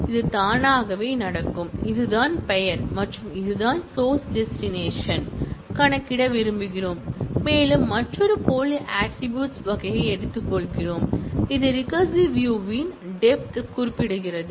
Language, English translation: Tamil, It will happen with itself, this is the name and this is what we want to compute source destination and we take another dummy attribute kind of which specify the depth of recursion